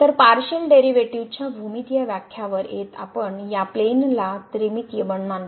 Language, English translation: Marathi, So, coming to Geometrical Interpretation of the Partial Derivative, we consider this plane three dimensional